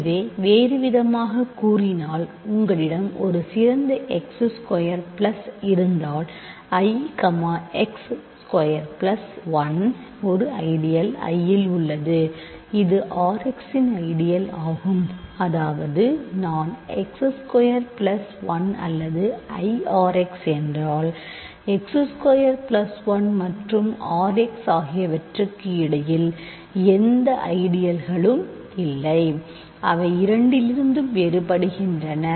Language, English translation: Tamil, So, in other words if you have an ideal x squared plus, I, x squared plus 1 contained in an ideal I which is an ideal of R x; that means, I is x squared plus 1 or I is R x there are no ideals between x squared plus 1 and R x that are different from a both of them